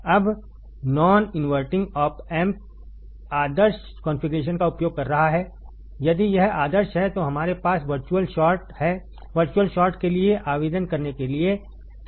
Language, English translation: Hindi, Now, the non inverting op amp is using ideal configurations, if it is ideal, then we have equal conditions to apply for virtual short